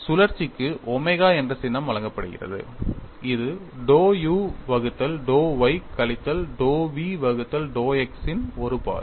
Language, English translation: Tamil, The rotation is given a symbol omega that is nothing but one half of dou u by dou y minus dou v by dou x